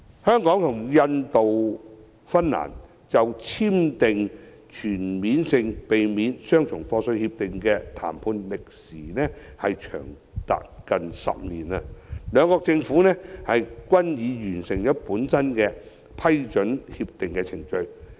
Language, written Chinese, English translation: Cantonese, 香港與印度及芬蘭就全面性協定的談判歷時近10年，兩國政府均已各自完成批准全面性協定的程序。, After nearly 10 years of CDTA negotiations with Hong Kong the Governments of India and Finland have respectively completed the approval processes for the relevant CDTAs